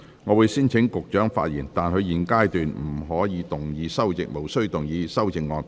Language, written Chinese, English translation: Cantonese, 我會先請局長發言，但他在現階段無須動議修正案。, I will first call upon the Secretary to speak but he is not required to move his amendments at this stage